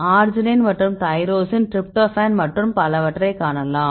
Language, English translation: Tamil, arginine and you can see the tyrosine, tryptophan and so on right